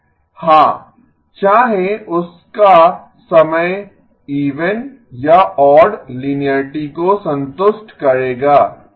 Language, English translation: Hindi, Yes, whether its time is even or odd linearity will satisfy okay